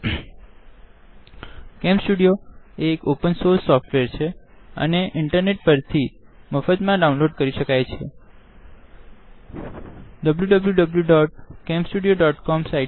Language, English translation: Gujarati, Camstudio is an open source software and can be downloaded free of cost from the internet